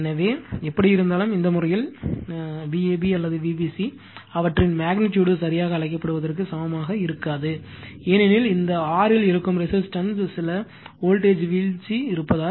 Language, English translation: Tamil, So, anyway, so in this case your, what you call in this case V ab or V bc, their magnitude not exactly equal to the your what you call the because there is some voltage drop will be there in this R in the resistance right